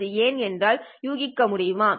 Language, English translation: Tamil, Can you guess why that is so